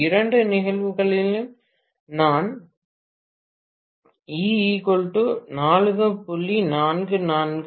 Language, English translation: Tamil, In both the cases I am going to have E equal to 4